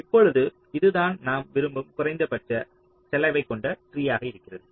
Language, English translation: Tamil, now, this is what we are wanting in the minimum cost tree